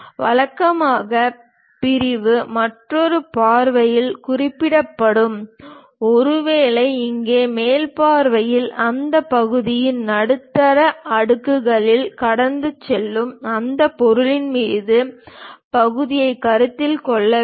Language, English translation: Tamil, Usually the section will be represented in other view, may be here in the top view, where section has to be considered on that object which is passing at the middle layers of that block